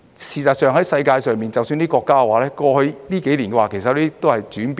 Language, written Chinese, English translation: Cantonese, 事實上，世界上的一些國家在過去這幾年，其實都有所轉變。, In fact some countries around the world have changed their mind in the past few years